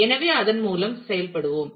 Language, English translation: Tamil, So, let us work through that